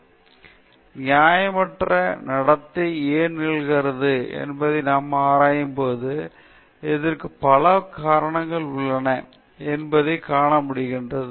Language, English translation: Tamil, And, when we examine why unethical behavior happens, we could see that there are several reasons for this